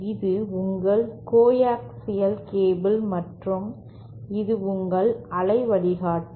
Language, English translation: Tamil, This is your coaxial cable and this is your waveguide